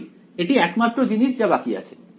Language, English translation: Bengali, Right that is that is the only thing that is left